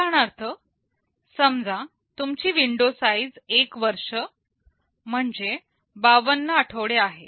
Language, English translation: Marathi, As an example, suppose your window size is I year = 52 weeks